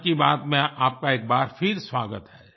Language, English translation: Hindi, Welcome once again to Mann Ki Baat